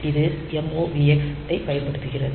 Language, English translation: Tamil, So, MOVX is for external